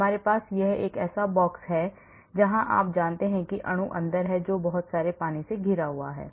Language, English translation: Hindi, we have box where you know molecule is inside which is surrounded by lot of water